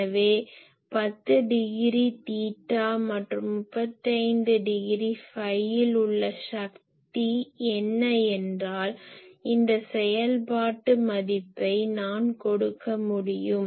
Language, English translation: Tamil, So, if you tell me what is the power in 10 degree theta and 35 degree phi , this function value I can give